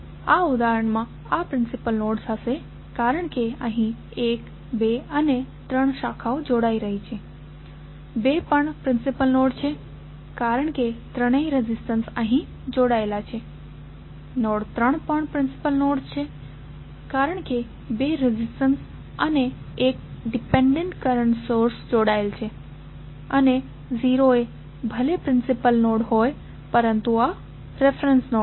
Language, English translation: Gujarati, In this case this would be principal node because here 1, 2 and 3 branches are joining, 2 is also principal node because all three resistances are connected here, node 3 is also principal node because two resistances and 1 dependent current source is connected and 0 is anyway principal node but this is reference node